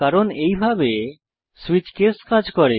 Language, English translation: Bengali, because of the way switch case works